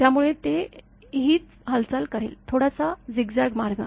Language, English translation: Marathi, So, that is the same way it will move; little bit zigzag way